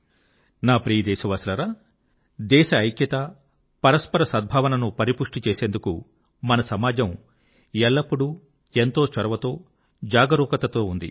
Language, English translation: Telugu, My dear countrymen, our nation has always been very proactive and alert in strengthening unity and communal harmony in the country